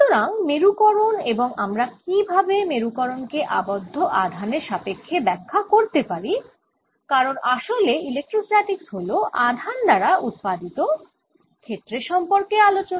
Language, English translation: Bengali, so polarization and how we can interpret polarization in terms of bound charges after all, electrostatics is all about fields being produced by charges